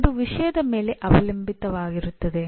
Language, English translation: Kannada, It depends on the subject